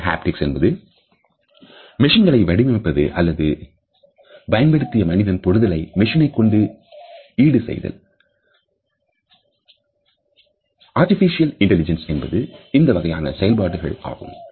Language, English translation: Tamil, Machine Haptics is the design construction and use of machines either to replace or to augment human touch, artificial intelligence is working in this direction